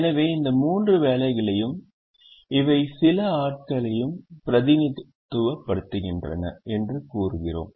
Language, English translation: Tamil, so we say these three represent the jobs and these represent people